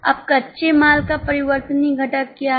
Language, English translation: Hindi, Now, what is a variable component of raw material